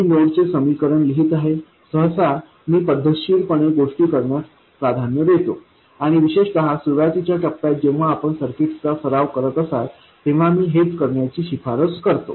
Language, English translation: Marathi, I will write down the node equations, usually I prefer to do things systematically and I would recommend the same especially in the early stages when you are still getting practice with circuits